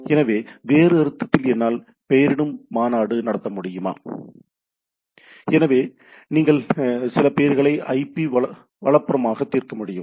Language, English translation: Tamil, So, in other sense whether I can have some naming convention; so, that mean some names which in turn can be resolved to IP right